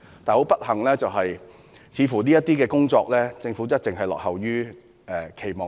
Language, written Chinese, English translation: Cantonese, 很不幸地，政府在這些方面的工作，似乎一直不符期望。, Regrettably the performance of the Government in these areas has fallen short of our expectations all along